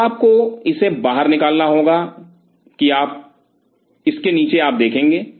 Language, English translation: Hindi, So, you have to scoop it out that underneath this, you will see a